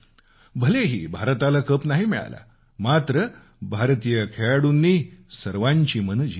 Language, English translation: Marathi, Regardless of the fact that India could not win the title, the young players of India won the hearts of everyone